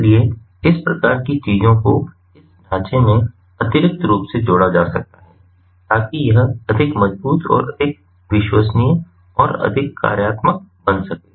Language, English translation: Hindi, so those kinds of things can be additionally added to this framework to make it more robust, more reliable and much more functional